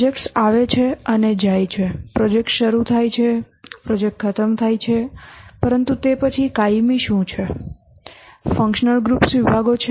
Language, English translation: Gujarati, The projects are started, projects dissolve, but then what is permanent is the functional groups or departments